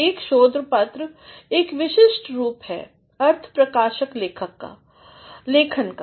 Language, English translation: Hindi, A research paper is a specialized form of expository writing